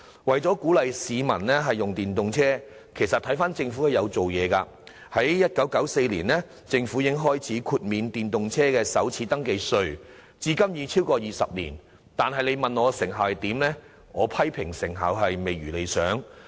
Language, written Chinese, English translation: Cantonese, 為鼓勵市民使用電動車，政府其實也有下工夫，早於1994年已開始豁免電動車首次登記稅，至今已超過20年，但說到措施的成效，我卻認為未如理想。, The Government has in fact striven to encourage the use of EVs and measures have been implemented as early as in 1994 to waive the first registration tax for EVs . Although such measures have been put in place for over 20 years I consider that they have failed to achieve satisfactory results